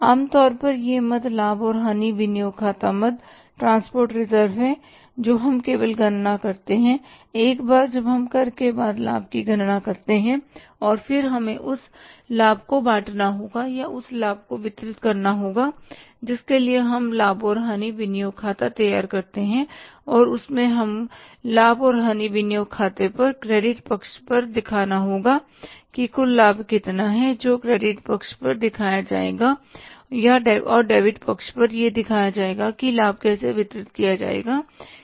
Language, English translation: Hindi, Transput reserves we calculate only once we calculate the profit after tax and then we have to apportion that profit or distribute that profit for that we prepare the profit and loss appropriation account and in that we will have to show on the credit side of the profit and loss appropriation account that how much is the total profit that will be shown on the credit side and on the debit side will show that how their profit will be distributed